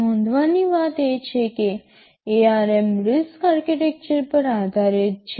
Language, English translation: Gujarati, So, ARM is based on the RISC architecture